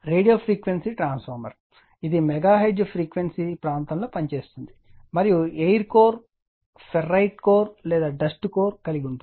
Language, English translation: Telugu, Radio frequency transformer it is operating in the megaHertz frequency region have either and air core a ferrite core or a dust core